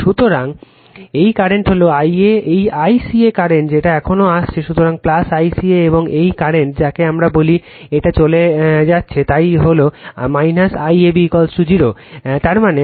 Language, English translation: Bengali, So, this current is I a, this I ca current it also coming here, so plus I ca and this current is your what we call it is leaving, so it is minus I ab is equal to 0; that means, my I a is equal to I ab minus I ca right